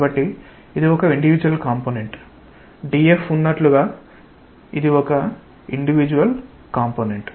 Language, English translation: Telugu, So, individual component is like you have a dF that is an individual component